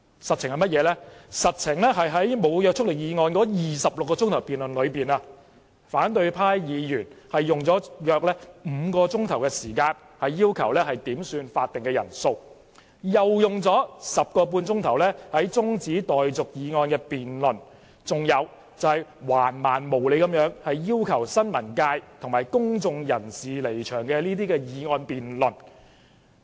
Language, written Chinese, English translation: Cantonese, 實情是在無約束力議案的26小時辯論中，反對派議員用了約5小時點算法定人數；又用了 10.5 小時辯論中止待續議案，甚至橫蠻無理至動議辯論要求新聞界及公眾人士離場的議案。, What actually happened is that of the 26 hours spent on debating the non - binding motion opposition Members spent about five hours on headcounts and another 10.5 hours on debating a motion for adjournment . They even went so far as to move a motion on withdrawal of members of the press and of the public